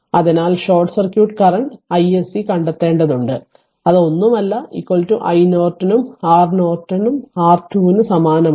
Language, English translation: Malayalam, So, and then we have to find out short circuit current i SC that is nothing, but is equal to i Norton and for R Norton is a identical to your R Thevenin same